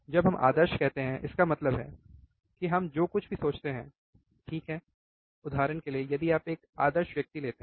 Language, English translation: Hindi, When we say ideal; that means, that everything that we think, right is there for example, if you take ideal person